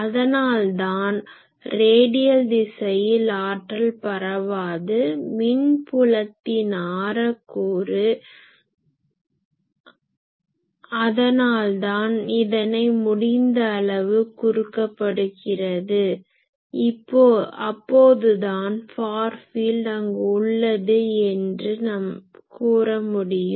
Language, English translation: Tamil, So, that is why radial direction will not give any power flow, radial component of electric field; that is why each should be curtailed as much as possible and then only we can say far field has been there